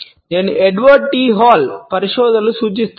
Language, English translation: Telugu, I would refer to the researches of Edward T Hall